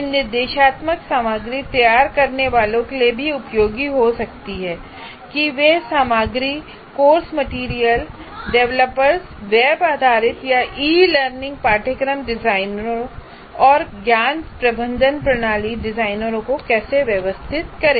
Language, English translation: Hindi, Whereas it can also be useful for producers of instructional materials, how to organize that, curriculum material developers, web based or e learning course designers, knowledge management system designers